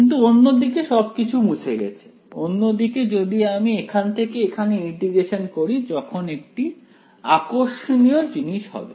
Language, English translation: Bengali, But on the other hand erased everything, on the other hand if I integrate from here to here that is when something interesting will happen right